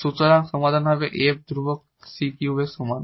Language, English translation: Bengali, So, this is f here and with c 2 is equal to the c 3